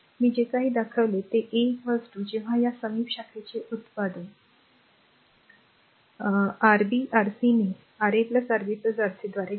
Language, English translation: Marathi, Whatever I shown look R 1 is equal to when you take R 1 product of this adjacent branch Rb Rc by Ra plus Rb plus Rc